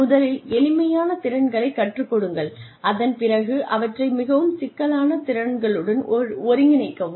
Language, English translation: Tamil, Teach simpler skills, and then integrate them, into more complex skills